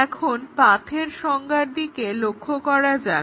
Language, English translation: Bengali, Now, let us look at the definition of a path